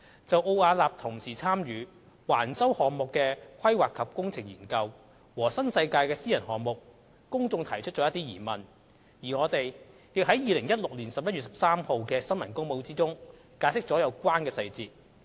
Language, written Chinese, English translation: Cantonese, 就奧雅納同時參與橫洲項目的"規劃及工程"研究和新世界的私人項目，公眾提出了一些疑問，而我們亦在2016年11月13日的新聞公報中解釋了有關的細節。, In connection with Arups concurrent participation in the PE Study for the development at Wang Chau and the private development project of NWD the public has raised some queries . We had explained the relevant details in the press release dated 13 November 2016